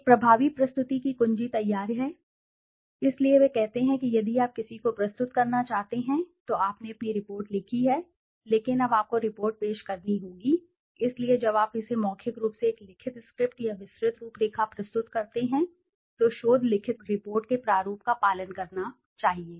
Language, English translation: Hindi, The key to an effective presentation is preparation, so they say if you want to present somebody, you have written your report but now you have to present the report so when you present it orally a written script or detailed outline should be prepared following the format of the research written report